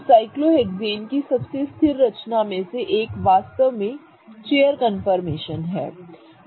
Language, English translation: Hindi, So, one of the most stable confirmation of cyclohexanes is actually a chair formation